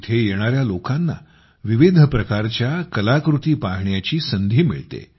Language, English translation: Marathi, People who come here get an opportunity to view myriad artefacts